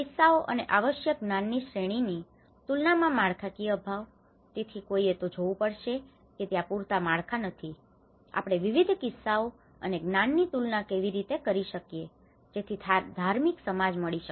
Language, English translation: Gujarati, The lack of framework to compare cases and essential knowledge series, so one has to see that there is not sufficient frameworks, how we can compare different cases and the knowledge in order to see a holistic understanding